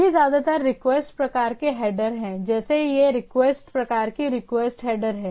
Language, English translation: Hindi, And there are this, this are mostly request type of header like these are set of request type of request header